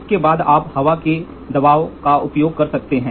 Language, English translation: Hindi, Next you can use pressure, air pressure